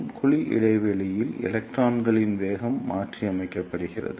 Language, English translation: Tamil, And in the cavity gap, the velocity of the electrons is modulated